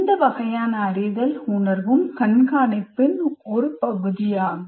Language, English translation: Tamil, So this kind of feelings of knowing is also part of monitoring